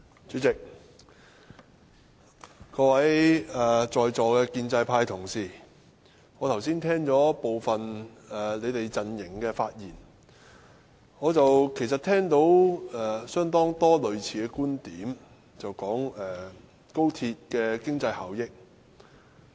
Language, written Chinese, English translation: Cantonese, 主席，我剛才聽了部分在座建制派同事的發言，聽到相當多類似的觀點，便是談論高鐵的經濟效益。, President I listened to some pro - establishment Members speeches just now . I find many similar viewpoints . Many of them talked about the economic returns of the Guangzhou - Shenzhen - Hong Kong Express Rail Link XRL